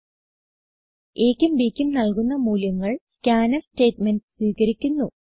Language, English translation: Malayalam, This scanf statement takes input for the variables a and b